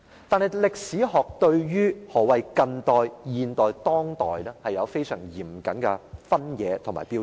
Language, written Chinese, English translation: Cantonese, 但是，對於何謂近代史、現代史和當代史，歷史學有相當嚴謹的分野和標準。, However there are very strict distinctions and criteria between modern history and contemporary history